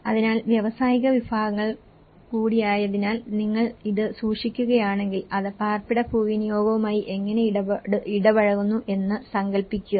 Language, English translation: Malayalam, So, imagine if you are keeping this because it is also the industrial segments, how it is interacting with the residential land use